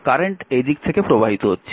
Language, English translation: Bengali, so, current is going like this